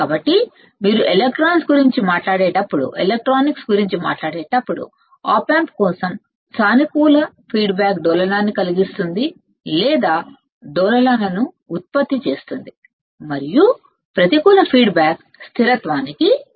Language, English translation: Telugu, So, for the op amp when you talk about electronics a positive feedback will cause oscillation or generate oscillations and negative feedback will lead to stability ok